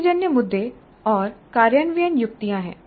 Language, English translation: Hindi, There are situational issues and implementation tips